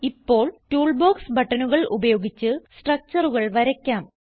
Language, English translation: Malayalam, Lets now draw structures using Toolbox buttons